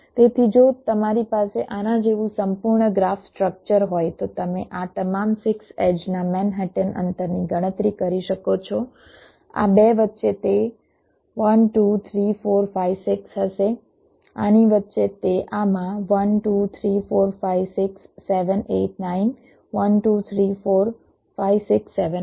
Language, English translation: Gujarati, so if you have a complete graph structure like this so you can make a calculation of the manhattan distance of all this, six edges, say, between these two it will be one, two, three, four, five, six